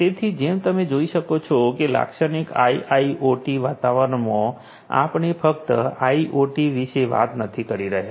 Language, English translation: Gujarati, So, as you can see that in a typical IIoT environment, we are not just talking about IoT